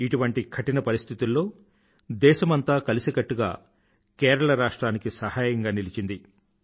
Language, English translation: Telugu, In today's pressing, hard times, the entire Nation is with Kerala